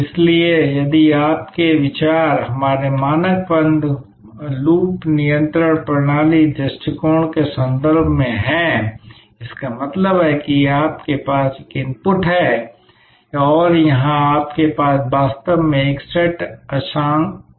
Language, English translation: Hindi, So, again if your think is in terms of the our standard closed loop control system approach; that means, you have an input and here you may actually have a set calibration